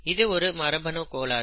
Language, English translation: Tamil, And therefore, it is a genetic disorder